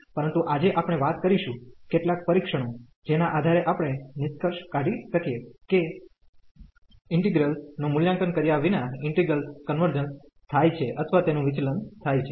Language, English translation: Gujarati, But today we will be talking about, some test based on which we can conclude that the integral converges or diverges without evaluating the integral